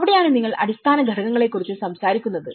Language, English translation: Malayalam, So that is where you are talking about the underlying factors